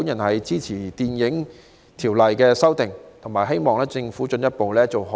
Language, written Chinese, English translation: Cantonese, 我支持《條例草案》，並希望政府進一步做好串流平台的規管。, I support the Bill and hope that the Government will further strengthen its regulation of streaming platforms